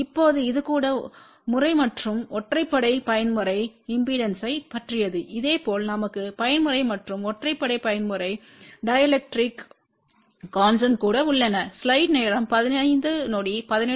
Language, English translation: Tamil, Now this is about even mode and odd mode impedances, similarly we have even mode and odd mode dielectric constant also